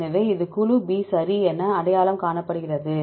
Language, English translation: Tamil, So, this is identified as group B right